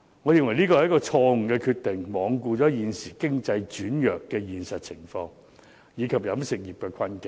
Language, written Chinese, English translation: Cantonese, 我認為這是一項錯誤決定，罔顧現時經濟轉弱的現實情況，以及飲食業的困境。, In my opinion its decision is wrong because no regard is given to the reality of a weakening economy and the plight of the catering industry